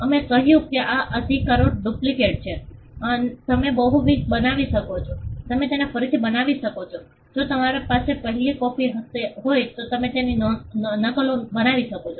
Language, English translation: Gujarati, We said these rights are duplicitous you can make multiple you can reproduce them if you have the first copy you can make multiple copies of it